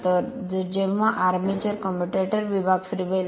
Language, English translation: Marathi, So, when armature will rotate the commutator segment